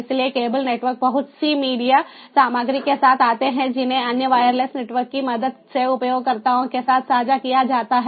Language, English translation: Hindi, so cable networks come up with lot of media content, sharing those with the help of other wireless networks with the users